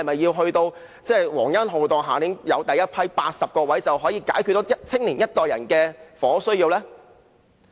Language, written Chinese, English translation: Cantonese, 等到皇恩浩蕩，下一年有第一批80個宿位，是否便可解決年輕一代人的房屋需要呢？, When with royal graciousness the first batch of 80 hostel places becomes available next year will the housing needs of our young people be met then?